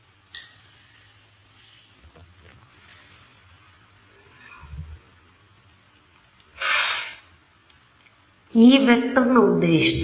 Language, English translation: Kannada, So, what will be the length of this s vector